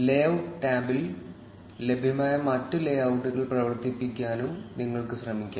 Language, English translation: Malayalam, You can also try running the other available layouts in the layout tab